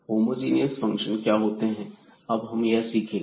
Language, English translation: Hindi, So, what are the homogeneous functions we will learn now